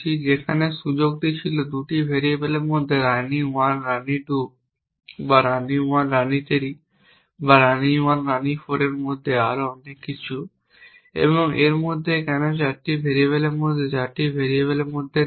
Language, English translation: Bengali, I have posed this problem where the scope was 2 variables between queen 1 queen 2 or queen 1 queen 3 or between queen 1 and queen 4 and so on and so forth why not between 3 variables between 4 variables in this